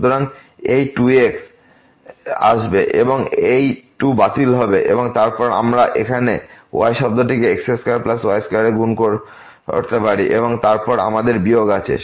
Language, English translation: Bengali, So, this 2 will come and this 2 will get cancel and then, we can multiply here this term in square plus this square and then we have minus